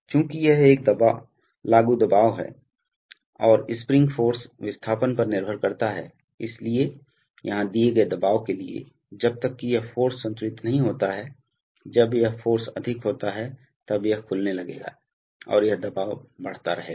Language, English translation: Hindi, So therefore, since this is an applied pressure and the spring force depends on the displacement, so therefore, the, for a given pressure here, the valve will, as long as this force is not balanced say, when this force is higher, then it will start opening and this pressure will keep increasing